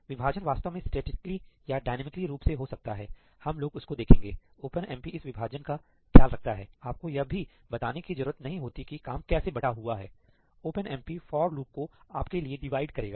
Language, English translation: Hindi, The splitting may actually happen statically or dynamically, we will come to that, but OpenMP takes care of the splitting for you; you do not even have to specify how the work is divided; OpenMP will divide the for loop for you